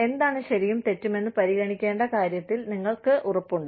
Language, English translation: Malayalam, You know, you are very sure of, what should be considered as, right or wrong